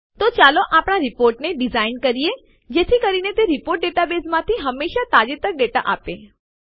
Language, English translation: Gujarati, Now let us design our report so that the report will always return the latest data from the database